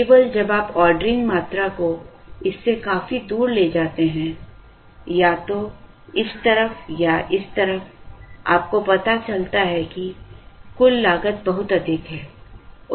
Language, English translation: Hindi, Only when you move the ordering quantity Q significantly away from this, either this side or this side, you realize that the total cost is very high